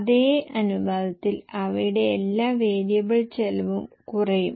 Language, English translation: Malayalam, So their variable cost will also reduce in the same proportion